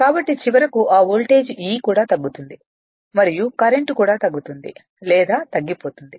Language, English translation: Telugu, So, finally, that voltage E also will reduce and the current also will reduce or diminished right